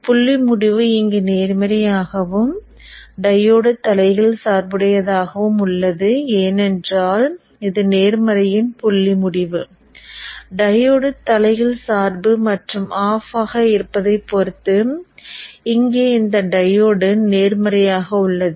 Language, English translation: Tamil, The dot end is positive here and the diode is reversed biased because this is positive dot end here is positive with respect to this, diode is reversed and off